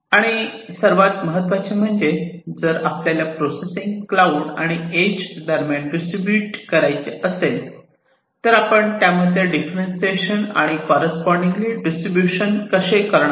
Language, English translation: Marathi, And more importantly, if you have to distribute the processing between the edge and the cloud, then how do you make that differentiation and correspondingly the distribution